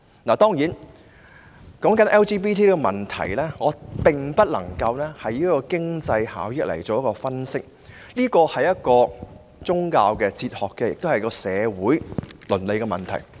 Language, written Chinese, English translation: Cantonese, 談到 LGBT 的問題，我無法基於經濟效益作分析，因為這是一個涉及宗教、哲學和社會倫理的問題。, On the LGBT issue I do not think that its analysis should be based on economic benefits as it is actually a topic that involves religious faith philosophy and social ethics